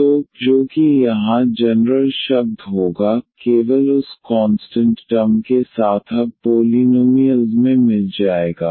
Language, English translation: Hindi, So, e power alpha x that will be the common term here, only with that constant term will now get into the polynomial terms